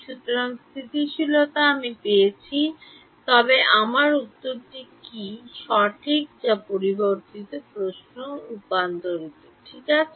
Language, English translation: Bengali, So, stability I have got, but is my answer correct that is the next question that is that is meant by convergence ok